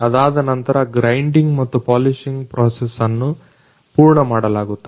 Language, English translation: Kannada, After that the grinding and polishing process has been completed